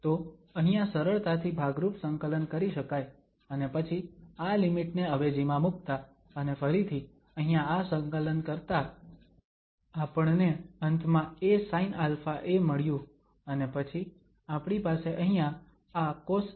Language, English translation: Gujarati, So, integration by parts can easily be done here and then substituting these limits and again doing this integral there, we ended up with a sin alpha a and then here we will have this cos alpha a minus 1 and over this alpha square